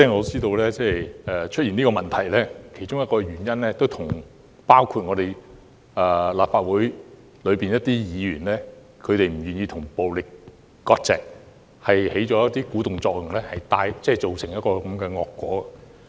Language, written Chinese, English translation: Cantonese, 事實上，出現上述問題的其中一個原因，就是部分立法會議員不願意與暴力割席，因而起了鼓動作用，造成當前的惡果。, In fact one of the causes of the aforesaid problems is that some Members are unwilling to dissociate themselves from violence; and their role as instigators has resulted in the current ill consequence